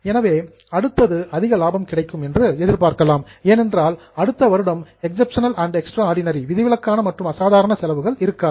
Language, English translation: Tamil, So, next year we can expect to have more profits because there will not be exceptional and extraordinarily losses in the next year